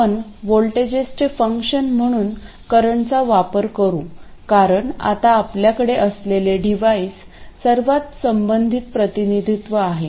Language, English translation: Marathi, We will use current search functions of voltages because for the devices that we have now this is the most relevant representation